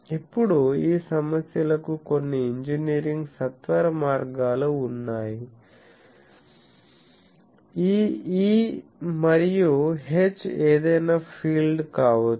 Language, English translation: Telugu, Now, there are some engineering shortcuts to this problems that you see this E and H can be any field